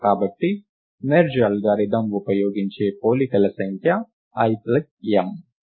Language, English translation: Telugu, Therefore, the number of comparisons used by the merge algorithm is l plus m